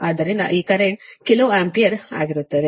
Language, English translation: Kannada, so that's why this current will be kilo ampere, right